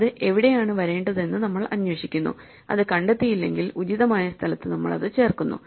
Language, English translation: Malayalam, So, we look for where it should find it and if we do not find it we insert it with the appropriate place